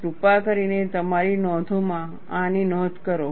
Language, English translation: Gujarati, Please make a note on this in your notes